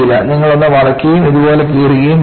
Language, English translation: Malayalam, You will make a fold and tear it like this